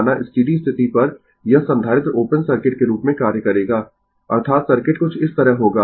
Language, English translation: Hindi, Suppose at steady state this capacitor will act as open circuit; that means, circuit will be something like this, right